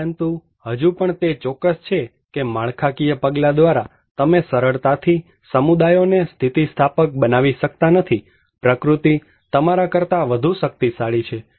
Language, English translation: Gujarati, But still it is sure that by structural measures, you cannot simply make communities resilient, nature is more powerful than you